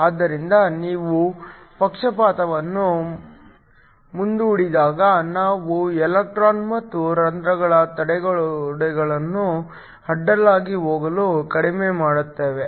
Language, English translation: Kannada, So, when you forward bias we lower the barriers for the electrons and holes to go across